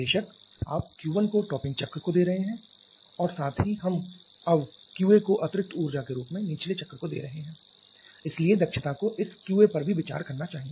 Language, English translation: Hindi, Of course you are giving Q 1 to the topping cycle plus we are now giving Q A to the bottoming cycle as additional energy so the efficiency should consider this Q A as well